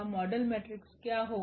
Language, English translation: Hindi, What will be the model matrix